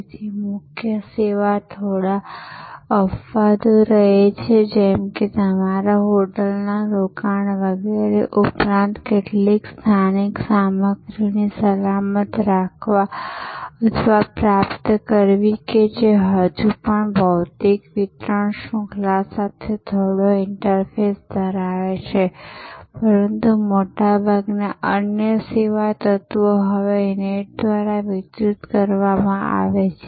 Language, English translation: Gujarati, So, the core service remains few exceptions, like some safe keeping or procuring of some local material in addition to your hotel stay etc that may still have some interface with physical distribution chain, but most other service elements are now delivered through the net